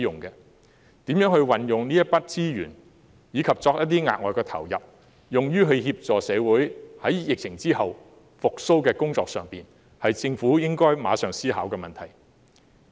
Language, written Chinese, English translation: Cantonese, 如何運用這筆資源，以及再投入一些額外資源，以協助社會疫後復蘇，是政府應該立即思考的問題。, How to utilize such resources and inject additional ones to facilitate social recovery after the epidemic is a question which should be immediately considered by the Government